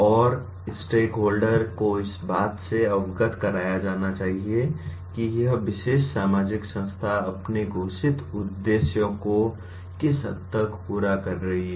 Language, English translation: Hindi, And the stakeholder should be made aware of to what extent this particular social institution is meeting its stated objectives